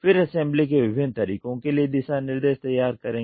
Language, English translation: Hindi, Then design guidelines for different modes of assembly